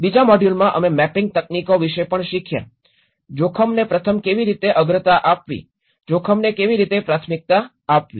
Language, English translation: Gujarati, The second module we also learnt about the mapping techniques, how first map the risk, prioritize the risk